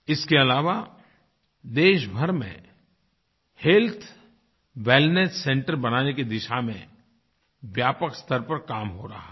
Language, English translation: Hindi, Also, extensive work is going on to set up Health Wellness Centres across the country